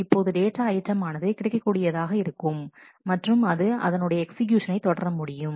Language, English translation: Tamil, So, then the data items become available for other transactions and, that can continue the execution